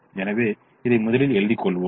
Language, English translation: Tamil, so we can write this first